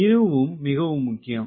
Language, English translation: Tamil, this statement is important